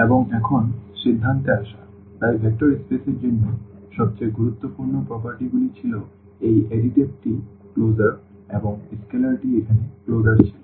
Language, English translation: Bengali, And, now coming to the conclusion, so, for the vector space the most important properties were these additive closer and this the scalar closer here